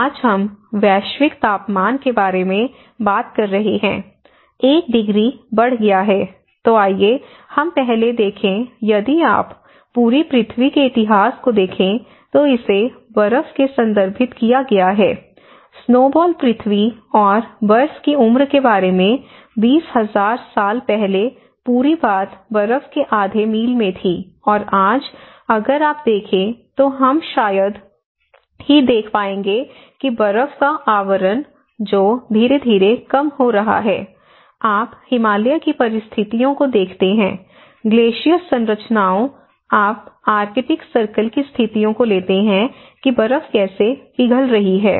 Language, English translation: Hindi, So, when we talk about the change, today we are talking about the global temperature has increased about 1 degree right, so let us see earlier, if you look at the history of the whole earth is referred with the snow; the snowball earth and about in the ice age, 20,000 years ago the whole thing was in half a mile of ice and today, if you see we hardly see that snow cover that is also gradually reducing, you take the conditions of Himalayas, the glacier formations, you take the conditions of the arctic circle how the ice is melting